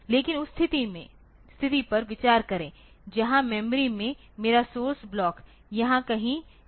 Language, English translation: Hindi, But, consider the situation where in the memory my source block is say somewhere here